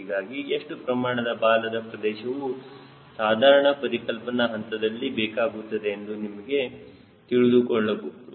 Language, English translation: Kannada, so you can easily find out how much tail area he has required at a simple conceptual state